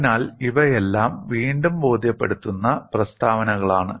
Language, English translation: Malayalam, So, these are all re convincing statements